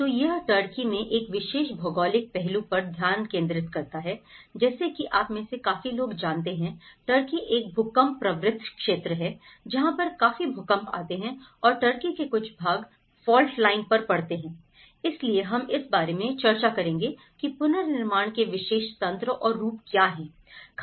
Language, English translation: Hindi, So, this is a focus on a particular geographical aspect in the Turkey and as many of you know that Turkey is prone to earthquake; frequent earthquakes and certain part of Turkey is lying on the fault line, so that is wherein we are going to discuss about how the reconstruction mechanisms have worked out especially, in the self help housing aspect